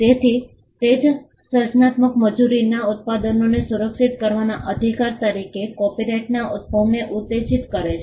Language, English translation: Gujarati, So, that itself triggered the emergence of copyright as a right to protect the products of creative labour